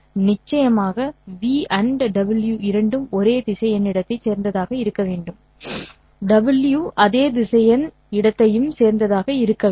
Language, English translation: Tamil, Of course, both v has to belong to the same vector space, w also has to belong to the same vector space